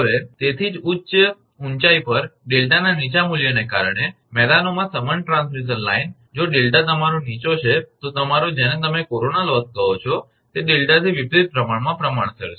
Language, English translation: Gujarati, So, that is why that similar transmission line in plains due to the lower value of delta at high altitudes, if delta is your low then your, what you call that corona loss is proportional to inversely proportional to delta